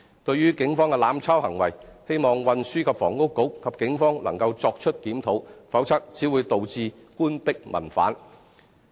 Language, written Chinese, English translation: Cantonese, 對於警方的"濫抄"行為，希望運輸及房屋局和警方能夠作出檢討，否則只會導致官逼民反。, As regards the abusive issuance of fixed penalty tickets by the Police I hope that the Transport and Housing Bureau and the Police can review the situation otherwise the Government will meet strong resistance from the public